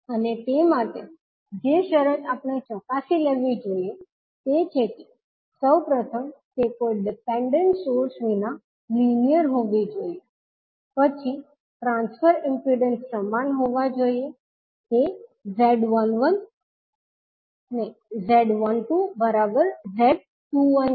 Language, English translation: Gujarati, And for that, the condition which we have to verify is that first it has to be linear with no dependent source, then transfer impedances should be same; that is Z12 should be equal to Z21